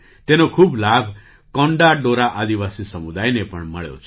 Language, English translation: Gujarati, The Konda Dora tribal community has also benefited a lot from this